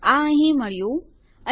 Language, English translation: Gujarati, It is found here and...